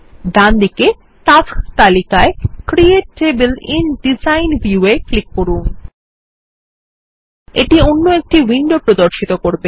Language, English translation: Bengali, Click on the Create Table in Design View in the Tasks list on the right.This opens another window